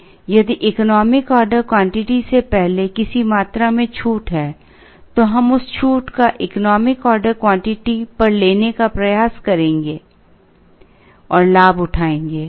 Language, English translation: Hindi, So, if there is a discount at a quantity before the economic order quantity then we will try and avail that discount at the economic order quantity